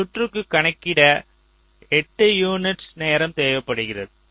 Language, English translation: Tamil, lets say here: now, this circuit requires eight units of time right to compute